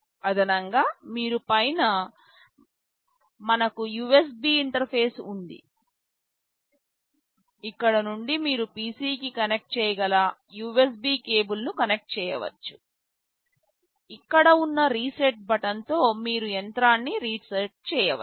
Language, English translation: Telugu, In addition you can see on top we have the USB interface, from here you can connect the USB cable you can connect it to the PC, there is a reset button sitting here you can reset the machine